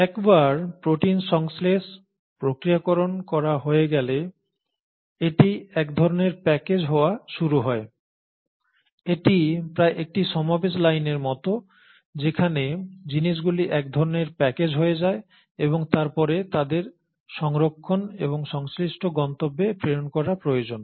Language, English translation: Bengali, Once the protein has been synthesised, processed, it kind of starts getting packaged, it is almost like an assembly line where things kind of get packaged and then they need to be sorted and sent to the respective destinations